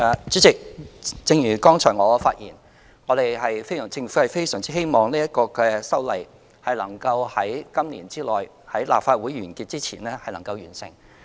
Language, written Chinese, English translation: Cantonese, 主席，正如剛才我發言，政府非常希望此修例能在今年內，在今屆立法會完結前完成。, President as I said earlier the Government earnestly hopes that the legislative amendment can be completed in this year before the Legislative Council rises at the end of this term